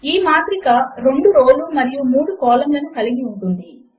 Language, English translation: Telugu, This matrix has 2 rows and 3 columns